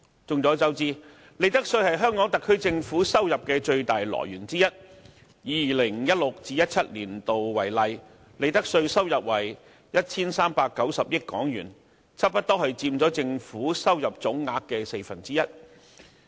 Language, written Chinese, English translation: Cantonese, 眾所周知，利得稅是香港特區政府收入的最大來源之一，以 2016-2017 年度為例，利得稅收入為 1,390 億元，差不多佔政府收入總額的四分之一。, It is a well - known fact that profits tax is one of the SAR Governments major revenue sources . For example the profits tax revenue in 2016 - 2017 was 139 billion almost one quarter of the Governments gross revenue in that year